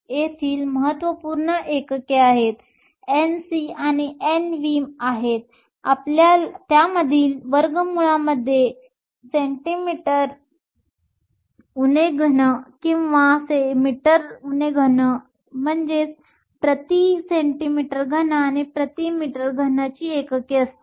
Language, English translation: Marathi, The units here are crucial N c and N v the square root of that should have the units of centimeter cube or per meter cube